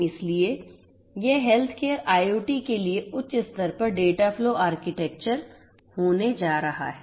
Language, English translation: Hindi, So, this is going to be the dataflow architecture at very high level for healthcare IoT